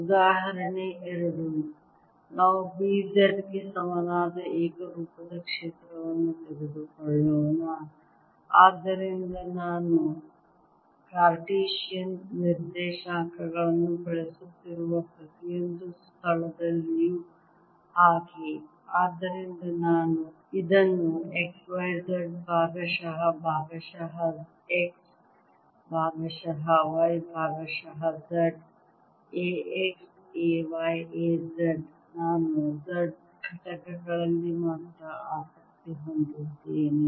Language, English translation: Kannada, example two: let us take a uniform field: b equals b, z, so that, like this, every where i am using cartesian coordinates i am going to write this as x, y, z, partial, by partial x, partial y, partial z, a, x, a, y a, z